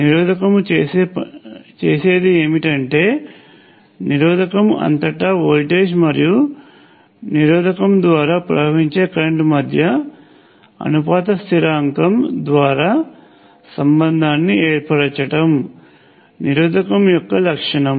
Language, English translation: Telugu, What a resistor does is to establish the relationship between the voltage across the resistor and the current through the resistor through a proportionality constant which is the property of the resistor